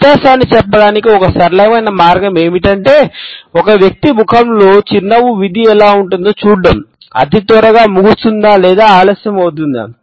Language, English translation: Telugu, A simple way to tell the difference is to watch how does the smile fate on an individual’s face, does it end quickly or does it linger